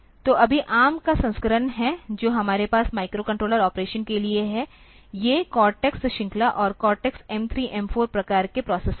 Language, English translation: Hindi, So, right now or the version of ARM, that we have for microcontroller operation are these cortex series and cortex m 3, m 4 type of processors